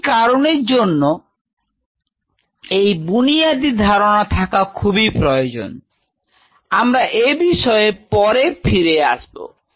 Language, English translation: Bengali, That is why understanding of this fundamental concept is very important we will come back